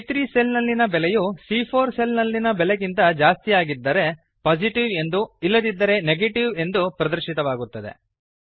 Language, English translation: Kannada, This means if the value in cell C3 is greater than the value in cell C4, Positive will be displayed or else Negative will be displayed.